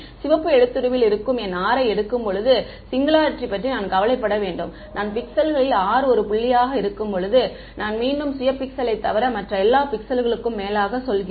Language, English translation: Tamil, I have to worry about the singularity when I take my r which is in the red font, when I take r to be one point in the pixel, I iterate over all the other pixels all other pixel except the self pixel